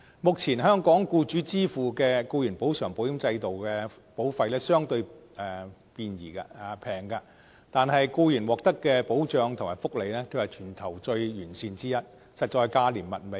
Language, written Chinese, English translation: Cantonese, 目前，香港僱主支付的僱員補償保險制度的保費相對便宜，但僱員獲得的保障和福利卻是全球最完善的地方之一，實在是價廉物美。, Currently employers in Hong Kong pay a relatively low premium for employees compensation insurance yet employees can enjoy one of the most comprehensive protection and benefits in the world